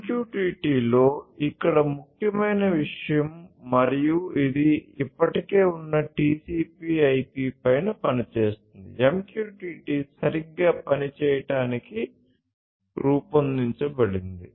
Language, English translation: Telugu, This is the key thing over here in MQTT and this works on top of the existing TCP/IP, the way MQTT has been designed to work right